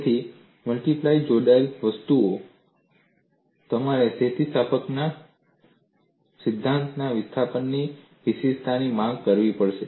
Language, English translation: Gujarati, So, in multiply connected objects, you have to invoke uniqueness of displacement in theory of elasticity